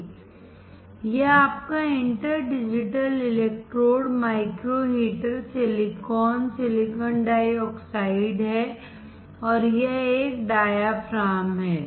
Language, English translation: Hindi, This is your inter digitated electrodes, micro heater, silicon, silicon dioxide and this one is diaphragm